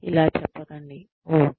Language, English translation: Telugu, Do not say, oh